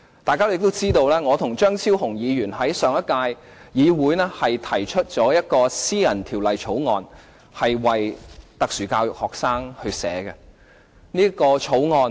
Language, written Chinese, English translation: Cantonese, 大家亦知道，我和張超雄議員在上屆立法會提出一項為特殊教育學生草擬的私人條例草案。, As Members know in the previous Legislative Council Dr Fernando CHEUNG and I put forward a Members Bill on special education needs